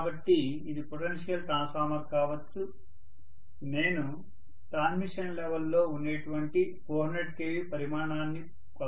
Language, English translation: Telugu, So this can be potential transformer, I may like to measure 400 kilovolts quantity from a transmission level